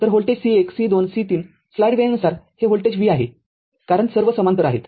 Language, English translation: Marathi, So, at volt C 1 C 2 C 3 what you call this voltage is given v because all are in parallel right